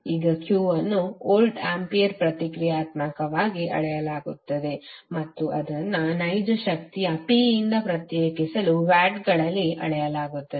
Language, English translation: Kannada, Now Q is measured in voltampere reactive just to distinguish it from real power P which is measured in watts